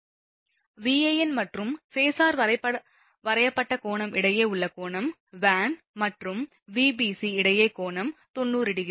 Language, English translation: Tamil, Angle between Van and the way phasor is drawn, angle between Van and Vbc it is 90 degree, right